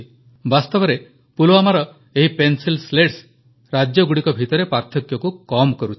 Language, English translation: Odia, In fact, these Pencil Slats of Pulwama are reducing the gaps between states